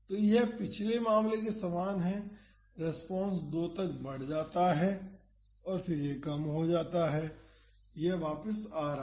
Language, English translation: Hindi, So, this is similar to the previous case the response grows to 2, then it reduces it is oscillating back